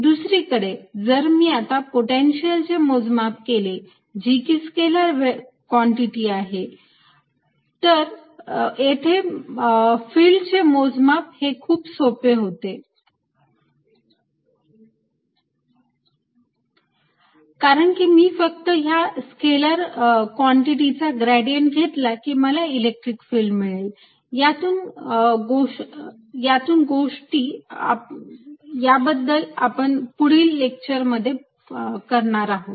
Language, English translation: Marathi, on the other hand, if i now calculate the potential, which is a scalar quantity, calculating electric field becomes quite easy because i can just take the gradient of the scalar quantity and obtained the electric field on it